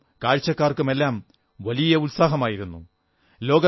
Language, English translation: Malayalam, There was a lot of enthusiasm among the players and the spectators